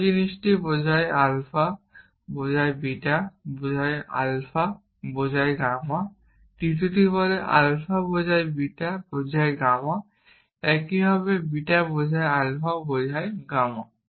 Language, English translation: Bengali, The whole thing implies alpha implies beta implies alpha implies gamma the third one says alpha implies beta implies gamma is also the same as beta implies alpha implies gamma